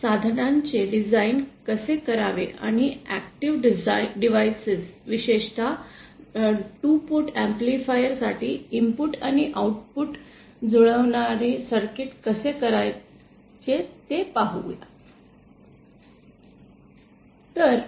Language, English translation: Marathi, So, let us consider how to do this design of this input and output matching circuits for active devices, specifically 2 port amplifiers